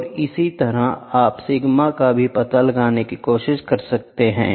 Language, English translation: Hindi, And, in the same way you can also try to find out sigma